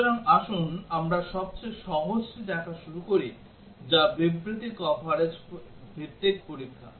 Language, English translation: Bengali, So, let us start looking at the simplest one, which is the statement coverage based testing